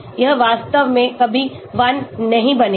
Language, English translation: Hindi, It will never become 1 actually